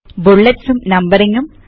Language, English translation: Malayalam, Bullets and Numbering